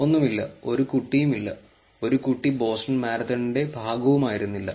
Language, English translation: Malayalam, Nothing, there was not a kid, a kid was not part of the Boston Marathon at all